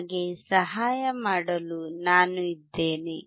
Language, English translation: Kannada, I am there to help you out